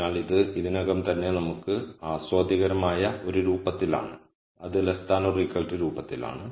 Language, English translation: Malayalam, So, this is already in a form that is palatable to us which is less than equal to form